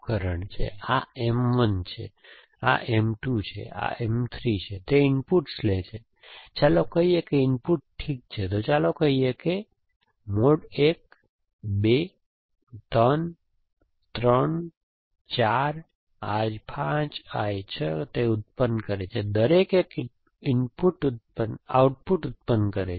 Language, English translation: Gujarati, This is M 1, this is M 2, this is M 3, it takes to inputs, let us say the inputs are fix, so let say I 1 I 2, I 3 I 3 I 4, I 5 I 6, it produces, each produces one output